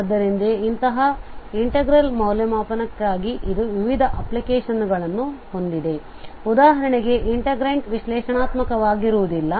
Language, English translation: Kannada, So it has a various applications for evaluation of such integrals where the integrant is not analytic for instance